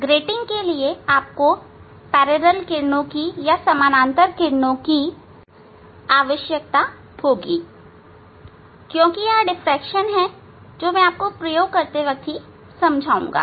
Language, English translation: Hindi, for grating you need parallel ray because it is a diffraction that I will describe when we will demonstrate the experiment